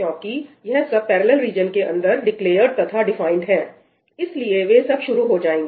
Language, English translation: Hindi, So, since these are declared and defined inside the parallel region, they will go on the start